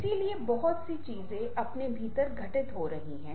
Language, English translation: Hindi, so, ah, there are lot many things happening within ourselves